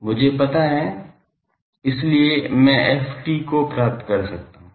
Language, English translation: Hindi, This is known to me; so, I can find ft